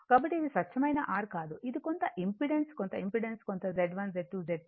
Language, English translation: Telugu, So, it is not pure R it may be some impedance, some impedance, some Z1, Z2, Z3